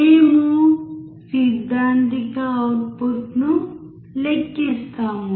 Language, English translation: Telugu, We calculate theoretical output